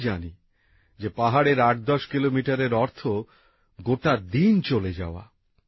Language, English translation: Bengali, I know that 810 kilometres in the hills mean consuming an entire day